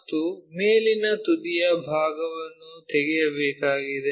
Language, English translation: Kannada, And, the top apex part has to be removed